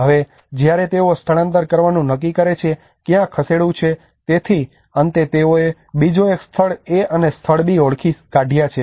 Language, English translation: Gujarati, Now when they start deciding to move, where to move, so finally they have identified another place A and place B